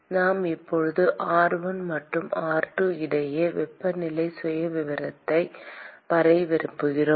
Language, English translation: Tamil, I want to now draw the temperature profile between r1 and r2